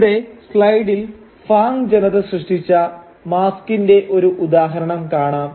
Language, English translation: Malayalam, And here in the slide you can see an example of the mask created by Fang people